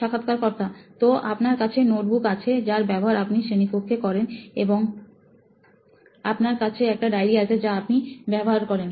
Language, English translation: Bengali, So you have notebooks that you use in class and you have a diary that you use